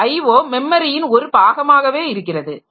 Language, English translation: Tamil, O is a part of the memory itself